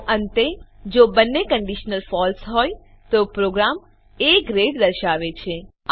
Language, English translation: Gujarati, So Finally, if both the conditions are False, the program displays A Grade